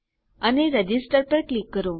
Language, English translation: Gujarati, And I will click Register